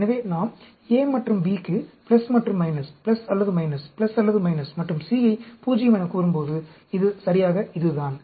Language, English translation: Tamil, So, when we talk about, say plus or minus, plus or minus, plus or minus, for A and B, and C as 0, this is exactly this